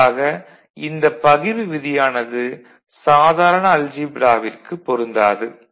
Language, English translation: Tamil, This is similar to what you see in ordinary algebra